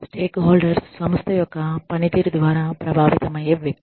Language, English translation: Telugu, Stakeholders are people, who are affected, by the workings of the organization